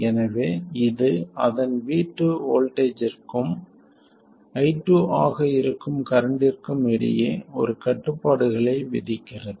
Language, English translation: Tamil, So, this imposes a constraint between its voltage which is V2 and its current which is I2